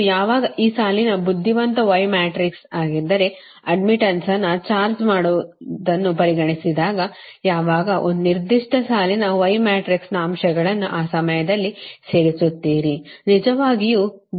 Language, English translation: Kannada, if you, if you ah that row wise y matrix later, when we will consider charging admittance, when you will, when you will add the elements of a particular row of y matrix, at that time you really something else right